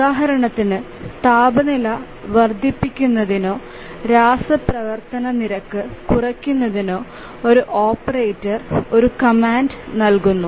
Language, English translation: Malayalam, For example, let's say an operator gives a command, let's say to increase the temperature or to reduce the rate of chemical reaction